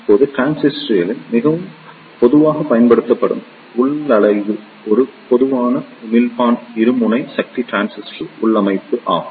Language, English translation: Tamil, Now, the most commonly used configuration of the transistor is a Common Emitter Bipolar Junction Transistor Configuration